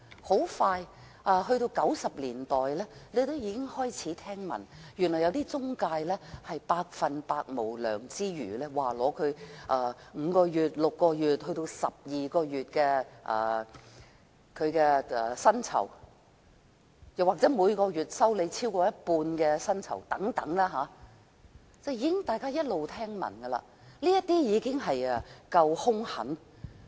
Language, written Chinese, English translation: Cantonese, 很快到了1990年代，我們開始聽聞，原來有些中介公司極度無良，收取她們5個月、6個月，甚至12個月的薪酬作為費用，又或是每月收取她們超過一半的月薪等。, Soon we came to the 1990s and we started hearing that certain employment agencies had acted unscrupulously by charging foreign domestic helpers fees amounting to 5 to 6 months or even 12 months of their salaries or a monthly payment amounting to more than half of their salaries . Members should have heard of these cases